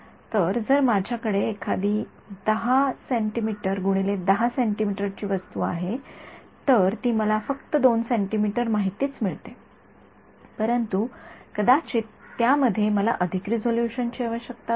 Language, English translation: Marathi, So, if I have let us say an object which is 10 centimeters by 10 centimeters, I am getting information only 2 centimeters, but maybe I need more resolution in that